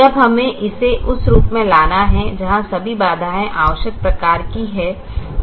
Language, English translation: Hindi, now we have to bring it to the form where all the constraints are of the required type